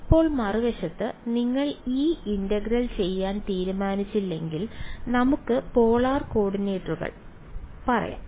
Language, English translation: Malayalam, Now on the other hand if you decided to do this integral using let us say polar coordinates right